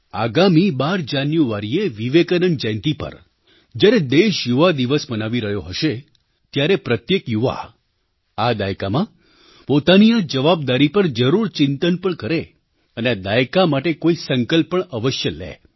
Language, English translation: Gujarati, On the birth anniversary of Vivekanand on the 12th of January, on the occasion of National Youth Day, every young person should give a thought to this responsibility, taking on resolve or the other for this decade